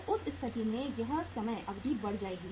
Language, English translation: Hindi, So in that case this time period will increase